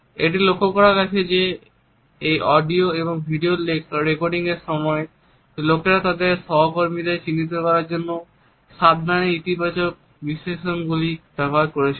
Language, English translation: Bengali, It has been noticed that during these audio and also the video recordings, people were careful to use positive epithets to depict their colleagues